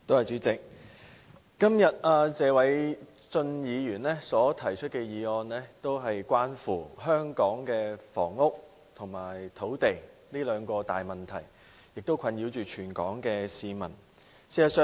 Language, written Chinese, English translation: Cantonese, 主席，謝偉俊議員今天提出的議案關乎香港的房屋和土地這兩項困擾全港市民的問題。, President the motion moved by Mr Paul TSE today is related to Hong Kongs housing and land problems which have been plaguing all people of Hong Kong